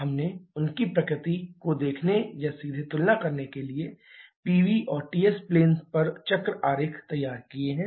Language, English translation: Hindi, We have drawn cycle diagrams on Pv and Ts planes to see or to directly compare their nature